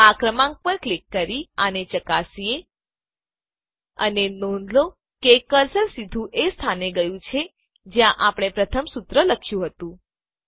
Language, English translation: Gujarati, Let us test it by simply clicking on this number And notice that the cursor has jumped to the location where we wrote the first formula